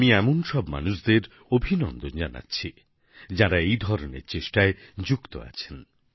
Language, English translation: Bengali, I extend my greetings to all such individuals who are involved in such initiatives